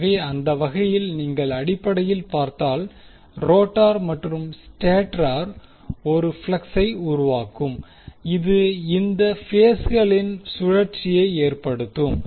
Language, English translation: Tamil, So, in that way if you see basically, the rotor and stator will create 1 flux which will cause the rotation of these phases